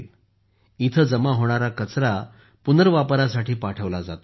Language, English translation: Marathi, Now the garbage collected here is sent for recycling